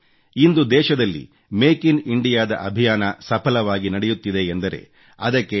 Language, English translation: Kannada, Today, the campaign of Make in India is progressing successfully in consonance with Dr